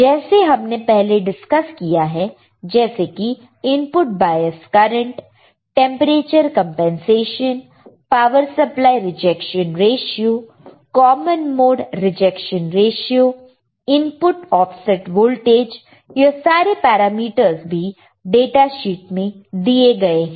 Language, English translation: Hindi, So, like we have discussed earlier which are the input bias current right, temperature compensation, power supply rejection ratio, common mode rejection ratio, input offset voltage, CMRR right common mode rejection ratio